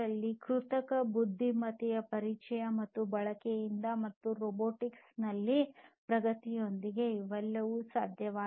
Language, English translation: Kannada, So, all these are possible with the introduction and use of artificial intelligence and advancement in robotics